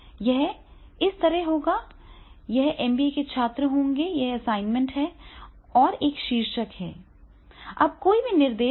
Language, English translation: Hindi, ) It will be like this, this will be the MBA students, this is assignment, and there is a title, now any instruction is there